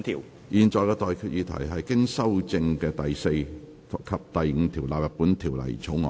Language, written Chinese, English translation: Cantonese, 我現在向各位提出的待決議題是：經修正的第4及5條納入本條例草案。, I now put the question to you and that is That clauses 4 and 5 as amended stand part of the Bill